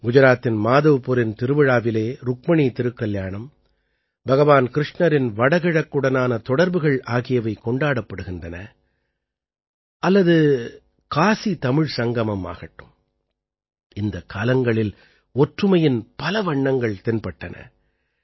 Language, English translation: Tamil, Be it the Madhavpur Mela in Gujarat, where Rukmini's marriage, and Lord Krishna's relationship with the Northeast is celebrated, or the KashiTamil Sangamam, many colors of unity were visible in these festivals